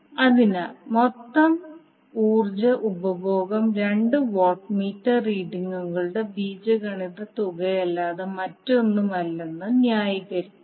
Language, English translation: Malayalam, So, will justify that the total power consumption is nothing but algebraic sum of two watt meter readings